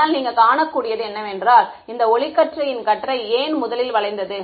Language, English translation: Tamil, But what you can see is, why did this beam of light get bent in the first place